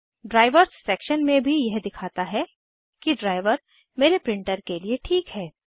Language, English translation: Hindi, Also in the Drivers section, it shows the driver suitable for my printer